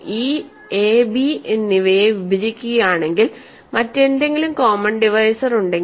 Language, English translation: Malayalam, If e divides both a and b, so if there is some other common divisor